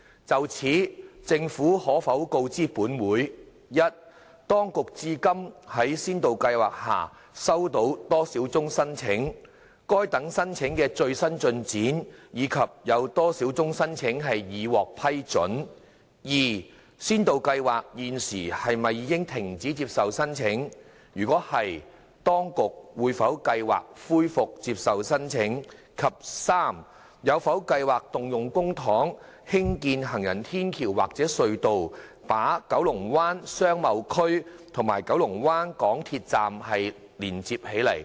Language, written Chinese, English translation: Cantonese, 就此，政府可否告知本會：一當局至今在先導計劃下收到多少宗申請；該等申請的最新進展，以及有多少宗申請已獲批准；二先導計劃現時是否已停止接受申請；若是，當局有否計劃恢復接受申請；及三有否計劃動用公帑興建行人天橋或隧道，把九龍灣商貿區與九龍灣港鐵站連接起來？, In this connection will the Government inform this Council 1 of the number of applications received to date by the authorities under the pilot scheme; the latest progress of such applications and the number of applications which have been approved; 2 whether the pilot scheme has now ceased to accept applications; if so whether the authorities have plans to resume accepting applications; and 3 whether it has plans to construct footbridges or subways by using public funds to link up the Kowloon Bay Business Area and the MTR Kowloon Bay Station?